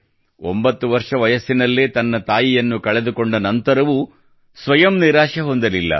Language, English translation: Kannada, Even after losing her mother at the age of 9, she did not let herself get discouraged